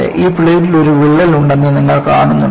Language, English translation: Malayalam, Do you see that there is a crack in this plate